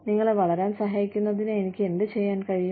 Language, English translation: Malayalam, What can I do, to help you grow